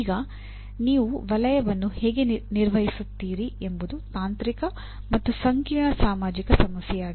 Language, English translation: Kannada, Now how do you manage the corridor is a both a technical and a complex social problem